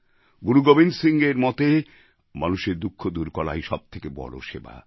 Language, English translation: Bengali, Shri Gobind Singh Ji believed that the biggest service is to alleviate human suffering